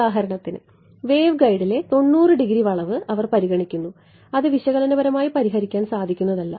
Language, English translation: Malayalam, So, for example, they consider a 90 degree bend in the waveguide which you would not be solve analytically right